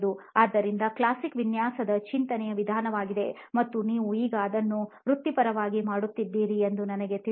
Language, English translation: Kannada, So very classic design thinking sort of approach in this and I know you are also doing it professionally now